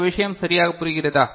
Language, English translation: Tamil, Do you get the point right